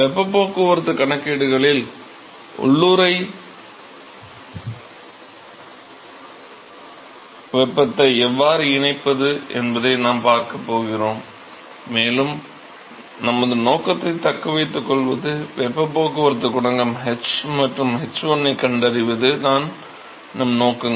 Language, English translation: Tamil, So, what we are going to see is how to incorporate latent heat in the heat transport calculations, and to retain our original objective is the objective is to find the heat transport coefficient h and h1